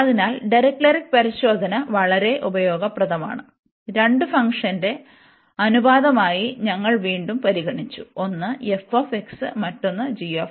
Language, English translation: Malayalam, So, this Dirichlet test is very useful now that we have just consider as a ratio of the two function again one was f x, and another was g x